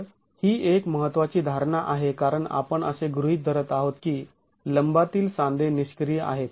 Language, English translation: Marathi, So that's an important assumption because you are assuming that the perpen joints are inactive